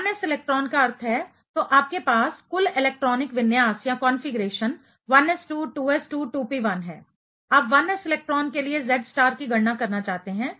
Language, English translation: Hindi, 1s electron means, so you have total electronic configuration 1s2, 2s2, 2p1; you want to calculate the Z star for 1s electron